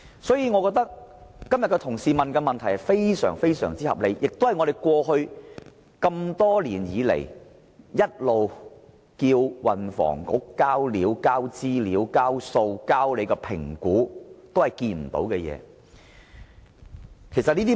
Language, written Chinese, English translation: Cantonese, 所以，我認為同事今天提出的問題十分合理，我們過去多年來不斷要求運輸及房屋局提供有關資料、數據和評估，但政府一直沒有理會。, Therefore I think that the question raised by my colleague today is most reasonable . In the past we have continuously requested the Transport and Housing Bureau to provide the information data and estimates concerned but the Government has all along not heeded our requests